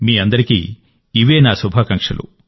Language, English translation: Telugu, This is my best wish for all of you